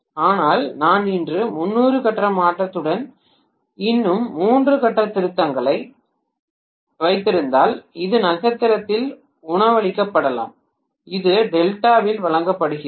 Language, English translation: Tamil, But, if I am having one more three phase rectifier with another 30 degree phase shift so maybe this is fed by star, this is fed by delta